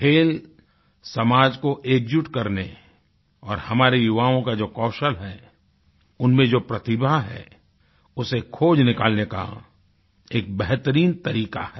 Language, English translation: Hindi, Sports is an excellent route to unite society and to showcase the talents & skills of our youth